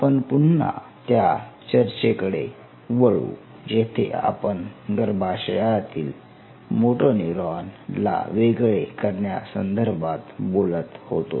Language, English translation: Marathi, So, coming back when we talk to you about separation of embryonic motoneurons